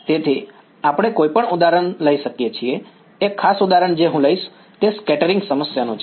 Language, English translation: Gujarati, So, we can take any example a particular example that I will take is that of a scattering problem ok